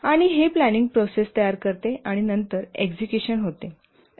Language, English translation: Marathi, And this forms the planning process and then comes the execution